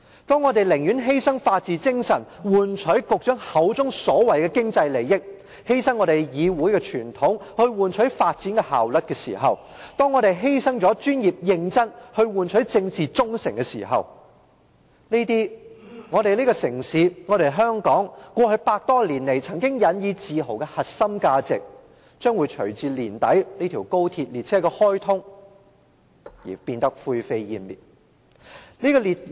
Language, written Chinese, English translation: Cantonese, 當我們寧願犧牲法治精神去換取局長口中所謂的"經濟利益"、犧牲議會的傳統去換取發展效率、犧牲專業認真去換取政治忠誠時，這些我們這個城市、香港過去百多年來曾經引以自豪的核心價值，將會隨着年底高鐵列車的開通而灰飛煙滅。, When we are willing to sacrifice the spirit of the rule of law for the so - called economic benefits claimed by the Secretary; to sacrifice the tradition of this Council for development efficiency and to sacrifice our spirit of professionalism for political allegiance the core values of Hong Kong which we have taken great pride in for more than a century will vanish into thin air along with the commissioning of XRL by the end of this year